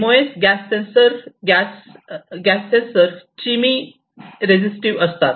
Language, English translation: Marathi, This MOS gas sensors are chemi resistive gas sensors